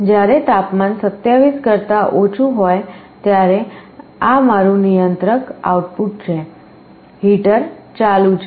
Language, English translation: Gujarati, When the temperature is less than 27, this is my controller output; the heater is on